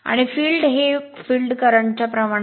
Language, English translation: Marathi, First, you find the field current